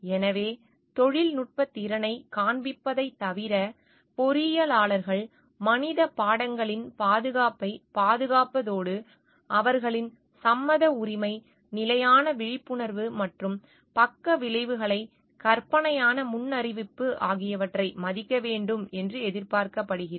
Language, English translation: Tamil, So, position of responsibility apart from displaying technical competence, engineers are expected to protect the safety of human subjects and respect their right of consent, constant awareness and imaginative forecasting of side possible side effects